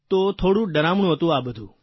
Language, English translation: Gujarati, All this was a bit scary